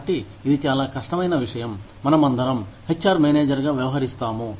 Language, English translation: Telugu, So, that is a very difficult thing, that we all deal with, as HR managers